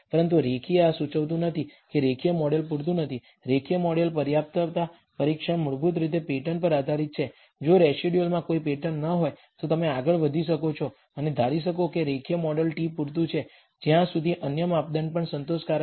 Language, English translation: Gujarati, But linear this does not indicate a linear model is not adequate, the linear model adequacy test is basically based on the pattern if there is no pattern in the residuals you can go ahead and assume that the linear model t is adequate as long as the other measures are also satisfactory